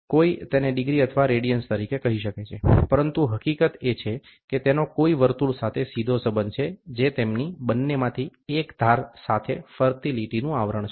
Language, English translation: Gujarati, One may call it as degree or radians, but the fact remains that it has a direct relationship to circle, which is an envelope of a line moving both about one of its edges